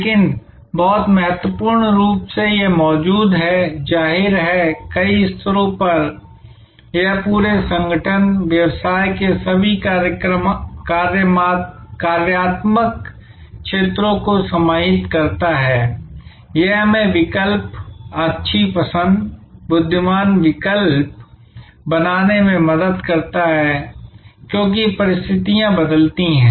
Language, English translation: Hindi, But, very importantly it exists; obviously, at multiple levels, it encompasses the whole organization, all the functional areas of the business, it helps us to make choices, good choices, wise choices as conditions change